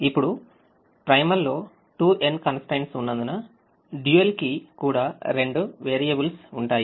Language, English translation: Telugu, now, since there are two n constraints in the primal, the dual will have two n variables